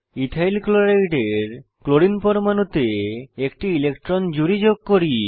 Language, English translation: Bengali, Lets add a pair of electrons on the Chlorine atom of EthylChloride